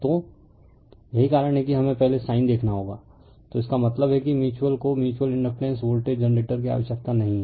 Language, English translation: Hindi, So, this why we have to see first right, so that means, sign will be that mutual you are not required mutual inductance voltage generator that sign will be negative